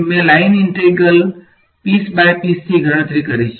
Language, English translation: Gujarati, I have calculated this line integral piece by piece